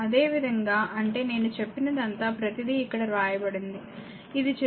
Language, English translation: Telugu, Similarly, that means, whatever I said that everything, everything is written here this is figure 1